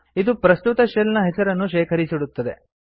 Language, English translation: Kannada, It stores the name of the current shell